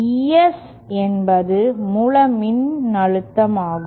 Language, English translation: Tamil, ES is the source voltage